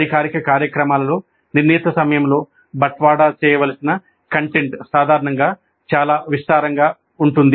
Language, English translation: Telugu, In formal programs, the content to be delivered in a fixed time is generally quite vast